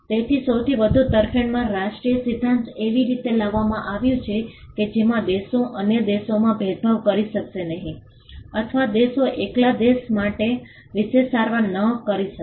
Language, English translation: Gujarati, So, the most favoured nation principle brought in a way in which countries could not discriminate other countries or countries could not have a special treatment for one country alone